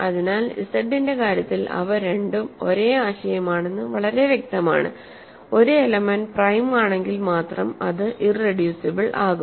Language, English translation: Malayalam, So, in the case of Z, it is very clear that they are both the same concept; an element is irreducible if and only if it is prime